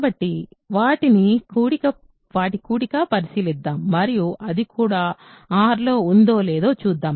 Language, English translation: Telugu, So, let us consider their sum and see if it is also in R